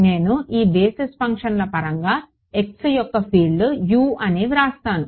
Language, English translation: Telugu, I write the field u of x in terms of these basis functions right